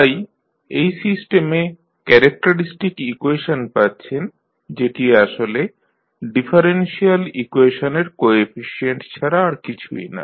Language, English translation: Bengali, So, with this you get the characteristic equation of the system which is nothing but the coefficients of the differential equation